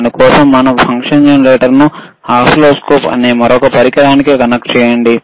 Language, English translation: Telugu, So, fFor that we have to connect this function generator to the another equipment called oscilloscope